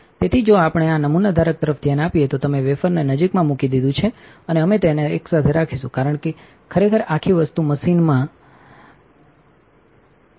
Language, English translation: Gujarati, So, if we look at this sample holder you put the wafer near and we going to keep it on together because actually this whole thing is inverted in the machine